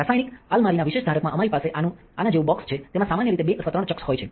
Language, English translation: Gujarati, In a special holder in the chemical cupboard, we have a box looking like this it contains normally 2 or 3 chucks